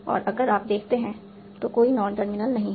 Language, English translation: Hindi, This is no non terminal